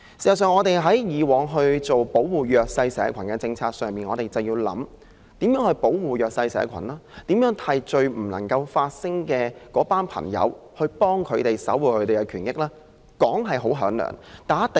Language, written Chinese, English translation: Cantonese, 事實上，我們在擬訂保護弱勢社群政策時，便應當思考該如何保護弱勢社群及未能為自己發聲的人士，守護他們的權益。, In fact in formulating policies for the protection of the disadvantaged the Government should give thought to how to protect the disadvantaged and those who are unable to speak up for themselves in order to safeguard their rights